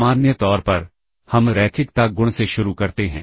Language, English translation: Hindi, As usual we start with the linearity property